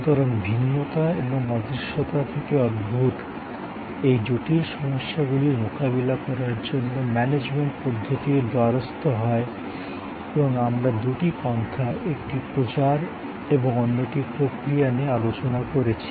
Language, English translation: Bengali, So, the management problem for tackling these complexities arising from heterogeneity and intangibility are met by different approaches and we have been discussing two approaches, one promotion and the other process